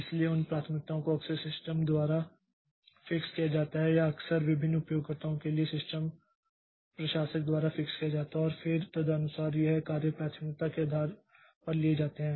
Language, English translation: Hindi, So, these priorities are often fixed by the system or often fixed by the system administrator for different users and then accordingly these jobs are taken up based on priority